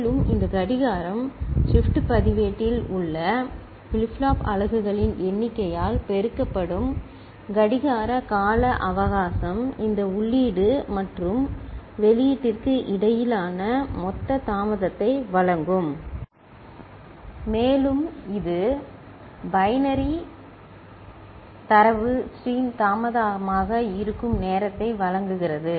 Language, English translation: Tamil, And, this clock the clock time period multiplied by the number of flip flop units that is there in the shift register will be giving you the total delay between this input and output and that will give you the time by which the binary data stream is getting delayed, ok